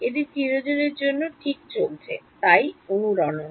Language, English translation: Bengali, It keeps going on forever right, so the resonance